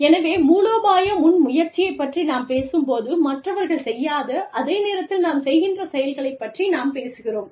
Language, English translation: Tamil, So, when we talk about strategic initiative, we are talking about a behavior, a pattern, something that we do, that others do not